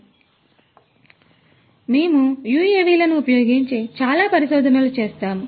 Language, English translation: Telugu, So, we do a lot of research using UAVs